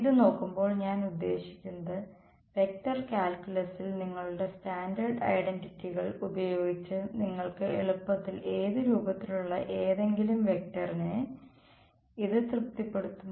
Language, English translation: Malayalam, Looking at this you can easily I mean by using your standard identities in vector calculus, this is satisfied by any vector of the form of what form